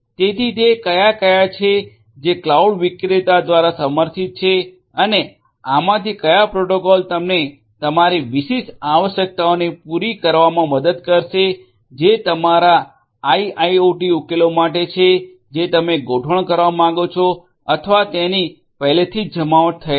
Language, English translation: Gujarati, So, which ones are there that are supported by the cloud vendor and what will which of these protocols are going to help you cater to your specific requirements that you have for the IIoT solution that you want to deploy or is already deployed